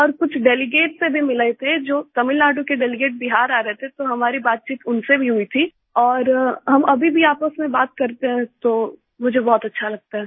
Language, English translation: Hindi, And I also met some delegates who were coming to Bihar from Tamil Nadu, so we had a conversation with them as well and we still talk to each other, so I feel very happy